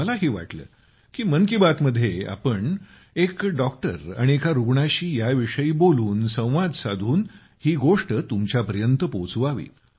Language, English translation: Marathi, Why not talk about this in 'Mann Ki Baat' with a doctor and a patient, communicate and convey the matter to you all